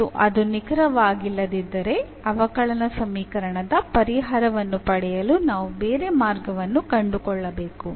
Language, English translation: Kannada, And if it is not exact then we have to find some other way or to get the solution of the differential equation